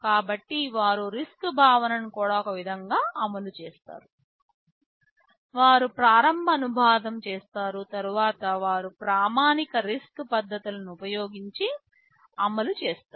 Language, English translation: Telugu, So, they also implement RISC concepts in some way, they make an initial translation after which they execute using standard RISC techniques, RISC instruction execution techniques right